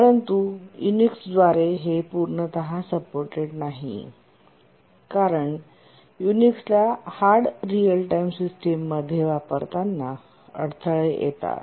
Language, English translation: Marathi, But then there are two issues that are the major obstacles in using Unix in a hard real time application